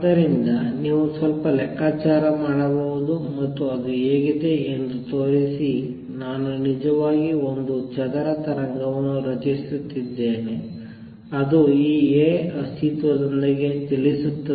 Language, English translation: Kannada, So, and show that what it looks like is I am actually creating a square wave which travels down with this being A